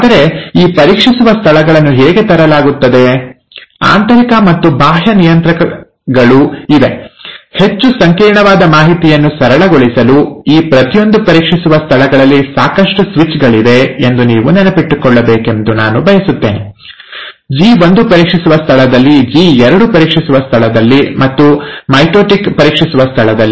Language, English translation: Kannada, But how are these checkpoints brought about, there are internal and external regulators, to make a more complex information simpler, I just want you to remember that there are enough switches at each of these checkpoints, at the G1 checkpoint, at, I am sorry with the slides, this is a mistake, this is a G2, G2 checkpoint, and at the mitotic checkpoint